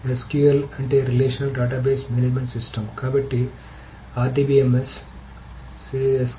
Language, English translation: Telugu, So SQL stands for the relational database management system, so the RDMIMS